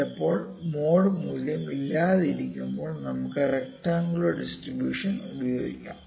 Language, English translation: Malayalam, Sometimes mode value is a not there sometimes we can also use rectangular distribution in case of triangular distribution